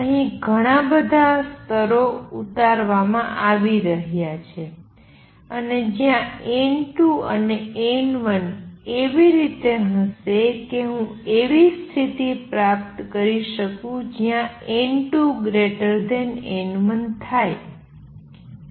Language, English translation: Gujarati, So, they are getting depleted form here lots of levels are being pumped up and they will be a n 2 and n 1 would be such that I can achieve a condition where n 2 is greater than n 1